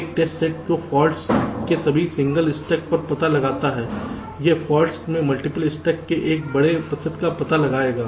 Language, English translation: Hindi, a test set that detects all single stuck at faults will also detect a large percentage of multiple stuck at faults